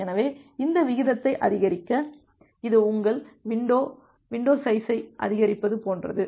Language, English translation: Tamil, So, to increase that rate, it is just like your increasing the window, window size